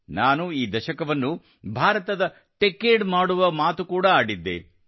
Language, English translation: Kannada, I had also talked about making this decade the Techade of India